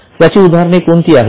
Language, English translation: Marathi, What are the examples